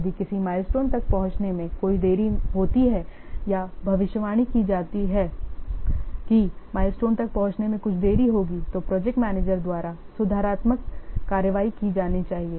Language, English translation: Hindi, If any delay is there in reaching a milestone or it is predicted that there will some delay in reaching a milestone then the corrective action has to be taken by the project manager